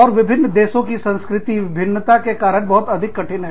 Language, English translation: Hindi, And, very difficult, because of the differences, in culture, in different countries